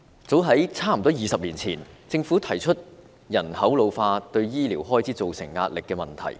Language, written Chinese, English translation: Cantonese, 早在大約20年前，政府提出了人口老化對醫療開支造成壓力的問題。, About some 20 years ago the Government pointed out that an ageing population would put health care expenditure under pressure